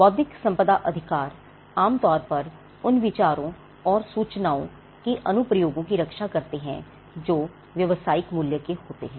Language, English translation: Hindi, Intellectual property rights generally protect applications of idea and information that are of commercial value